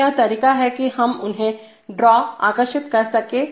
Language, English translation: Hindi, So this is the way we are going to draw them